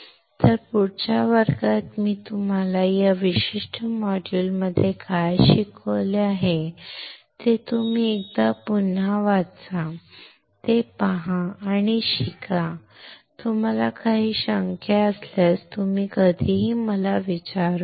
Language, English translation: Marathi, So, till next class, you just look once again what I have taught you in this particular module, see it, learn it and if you have any doubts you can ask me any time